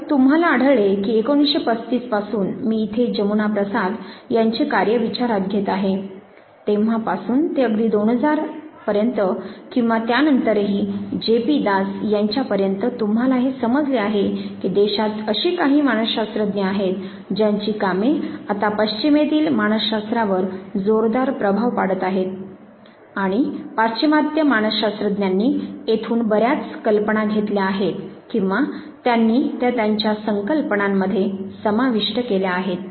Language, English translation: Marathi, So, you would find that right from say, very old 1935 Jamuna Prasad's work I took into count, right from there till recent times 2000 and even later J P Das's work and you realize that there are few psychologists within the country whose work have now heavily influence the psychology in the west and the western psychologist have barrowed ideas from here or they have corporate it in their conceptualization